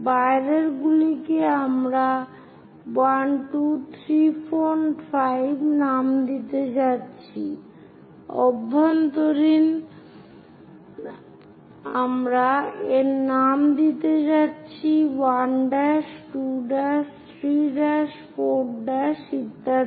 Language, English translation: Bengali, The outer ones we are going to name it as 1, 2, 3, 4, 5; inner ones we are going to name it like 1 dash, 2 dash, 3 dash, 4 dash and so on